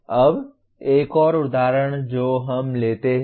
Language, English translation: Hindi, Now another one example that we pick up